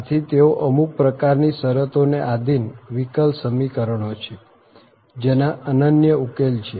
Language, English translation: Gujarati, So, they are the differential equations associated with some kind of conditions to have unique solutions